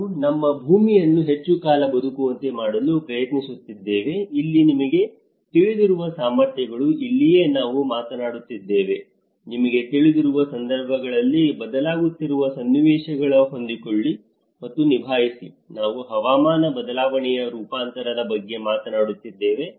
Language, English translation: Kannada, We are trying to make our earth live longer, little longer so, this is where the abilities you know that is where we are talking, in order to adapt with the situations you know, in order to adapt and cope with the changing situations, we are talking about the climate change adaptation